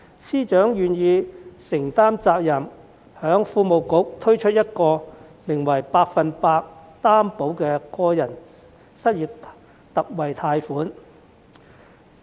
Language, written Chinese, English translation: Cantonese, 司長願意承擔責任，經財經事務及庫務局為失業人士推出百分百擔保個人特惠貸款計劃。, FS willingly took up his responsibility and introduced the 100 % Personal Loan Guarantee Scheme for the unemployed through the Financial Services and the Treasury Bureau